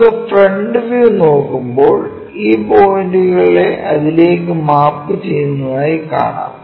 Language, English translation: Malayalam, So, when we are looking front view, these points mapped all the way to that one